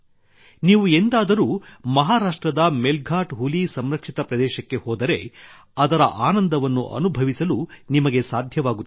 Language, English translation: Kannada, If you ever go to the Melghat Tiger Reserve in Maharashtra, you will be able to experience it for yourself